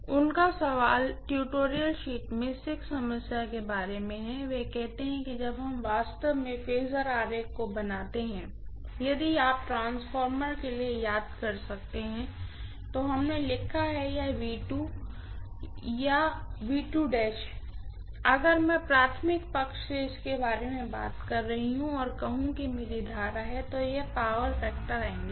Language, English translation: Hindi, His questions is about 6th problem in the tutorial sheet, he says when we actually drew the phase diagram if you may recall for the transformer, we wrote let say this is V2 or V2 dash if I am talking about it from the primary side and let say this is my current, this is the power factor angle